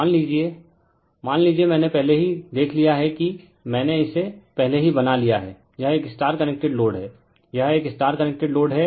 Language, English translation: Hindi, Suppose, you have a suppose you have a we have seen already I have made it for you before right, this is a star connected load right, this is a star connected load